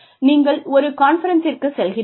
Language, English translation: Tamil, You went on a conference